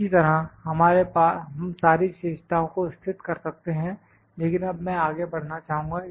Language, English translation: Hindi, Similarly, we can locate all the features, but now I will like to move forward